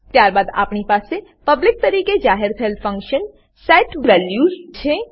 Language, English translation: Gujarati, Then we have function set values declared as public